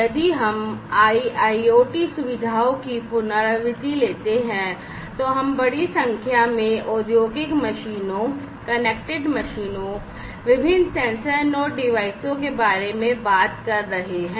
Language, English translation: Hindi, So, if we take a recap of the IIoT features, we have in IIoT we are talking about large number of industrial machines, connected machines, having different sensor nodes devices, and so on